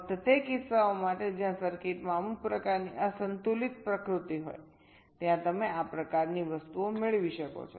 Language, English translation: Gujarati, only for those cases where there is some kind of unbalanced nature in the circuit